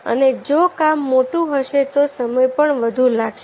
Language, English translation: Gujarati, if the job is bigger, then it will take more time